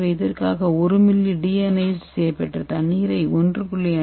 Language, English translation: Tamil, So for this we have to use 1ml of deionized water in a 1